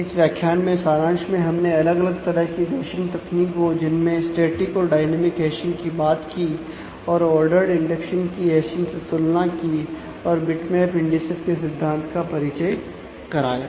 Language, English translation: Hindi, In this module to summarize we have talked about various hashing schemes static and dynamic hashing, compared the order indexing with hashing and introduced the notion of bitmap indices